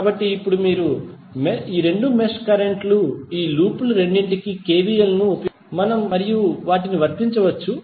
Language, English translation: Telugu, So, now the two mesh currents you can use and apply KVLs for both of the loop